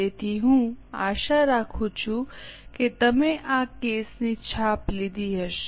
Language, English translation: Gujarati, So, I hope you have taken the printout of this case